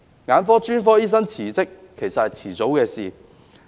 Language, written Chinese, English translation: Cantonese, 眼科專科醫生辭職，其實是早晚的事。, It is therefore just a matter of time for ophthalmologists to resign